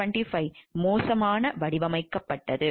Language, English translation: Tamil, The Therac 25 had been poorly designed and inadequately tested